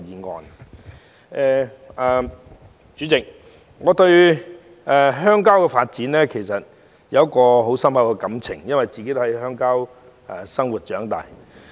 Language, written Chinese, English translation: Cantonese, 代理主席，我對鄉郊有深厚感情，因我是在鄉郊生活和長大。, Deputy President I have a deep affection for rural areas because I am living at and grew up in the countryside